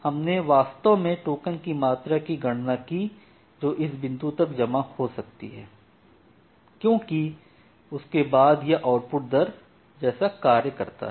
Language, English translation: Hindi, So, we actually calculated the amount of token that can get accumulated up to this point because after that it will your output rate as we have seen